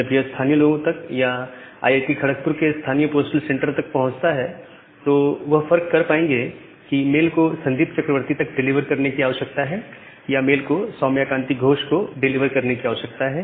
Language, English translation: Hindi, Now once it reaches to the local people or the local postal center of IIT Kharagpur, then they disambiguate whether the mail need to be delivered to Sandip Chakraborty or that need to be delivered to Soumukh K Gosh that way we basically disambiguate the entire system